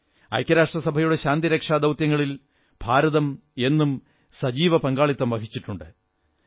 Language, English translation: Malayalam, India has always been extending active support to UN Peace Missions